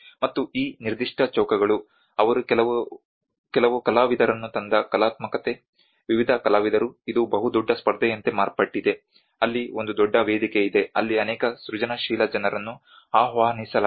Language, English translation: Kannada, And these particular squares the artistic they also brought some artists, various artists this has become almost like a huge competition there is a big platform where a many creative people were invited